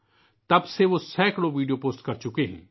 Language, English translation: Urdu, Since then, he has posted hundreds of videos